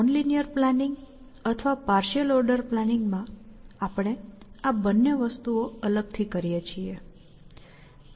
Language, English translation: Gujarati, In nonlinear planning or partial order planning, we do these two things separately